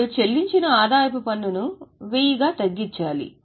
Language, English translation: Telugu, Now the income tax paid is to be reduced